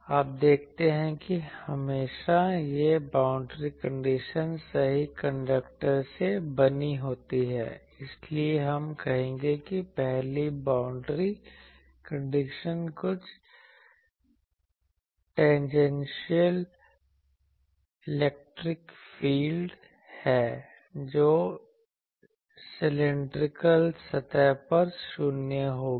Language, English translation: Hindi, You see always these boundary conditions that one is since this is made of perfect conductors, so we will say the first boundary condition is total tangential electric field will be 0 on cylindrical surface sorry cylindrical surface